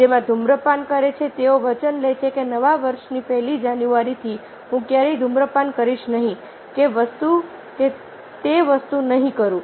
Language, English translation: Gujarati, ah, those who are smokers, they take promise that, ok, from the new year, from the first of january, i will never smoke or i will not do this thing or that thing